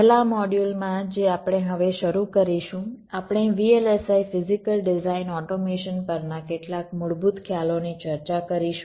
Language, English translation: Gujarati, ah, in the first module that we shall be starting now, we shall be discussing some of the basic concepts on v l s i physical design automation